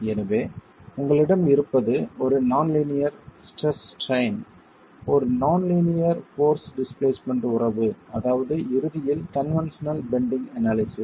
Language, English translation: Tamil, So, what you have is a nonlinear stress strain, a non linear force displacement relationship ultimately with conventional bending analysis